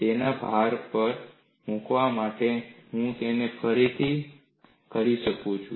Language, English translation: Gujarati, In order to emphasize that, I am saying it again